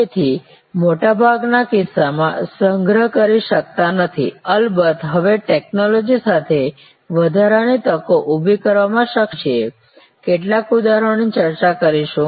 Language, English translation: Gujarati, So, we cannot store in most cases of course, now with technology we are able to create additional opportunities, we will discuss some examples